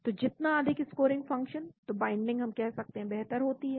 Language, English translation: Hindi, so higher the scoring function then binding we can say is better